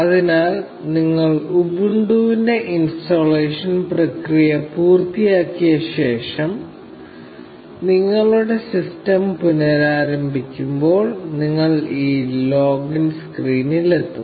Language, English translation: Malayalam, So, after you have completed the installation process of Ubuntu, and restarted your system, you will reach this login screen